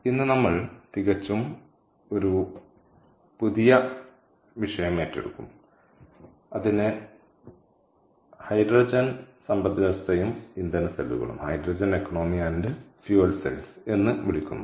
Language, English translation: Malayalam, so today we will pick up a completely new topic and that is called hydrogen economy and fuel cells